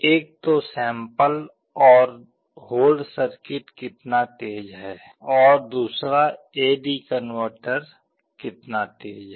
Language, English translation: Hindi, One is how fast is the sample and hold circuit, and the other is how fast is the A/D converter